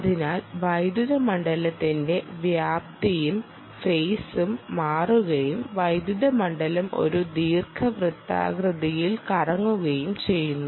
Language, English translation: Malayalam, in this case, the amplitude as well as phase of the electric field change and cause the electric field to rotate in an elliptic form